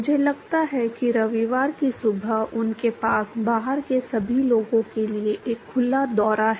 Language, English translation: Hindi, I think Sunday mornings they have a an open tour for all the people from outside